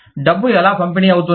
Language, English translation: Telugu, How does the money get distributed